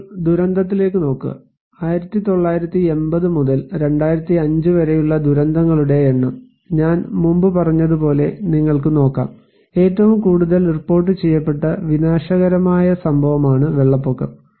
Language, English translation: Malayalam, Now, looking into the disaster; number of disasters from 1980’s to 2005, you can look as I told also before, it is the flood that is the most reported disastrous event